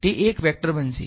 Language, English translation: Gujarati, It is going to be a vector right